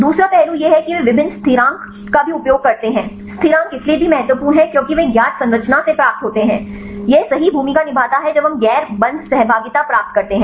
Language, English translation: Hindi, Second aspect is they also use various constants, the constants also important because they derive from the a known structures right this is also plays a role when we get the non bond interactions